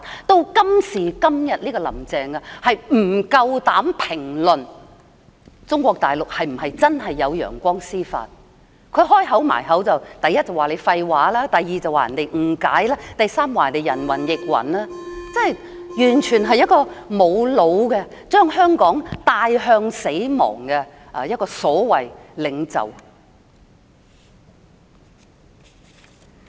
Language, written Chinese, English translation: Cantonese, 直至今時今日，"林鄭"仍不敢評論中國大陸是否真的有"陽光司法"，她一開口便說人講廢話，說人誤解，說人人云亦云，完全是沒有腦的、將香港帶向死亡的所謂領袖。, Until now Carrie Lam still dares not comment on whether sunshine judiciary really exists in the Mainland . All she had got to say was that people spoke nonsense that people misunderstood that people parroted others views . She is a so - called leader who is entirely brainless and pushes Hong Kong to death